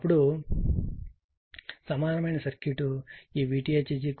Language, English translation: Telugu, Then the equivalent circuit is this V 45